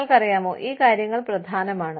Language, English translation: Malayalam, You know, these things are important